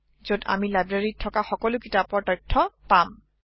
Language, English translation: Assamese, We can see the list of all the books available in the library